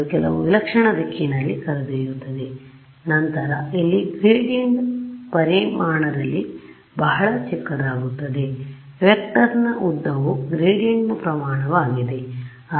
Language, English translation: Kannada, They take me in some weird direction over here and then here the gradients become very small in magnitude the length of the vector is the magnitude of the gradient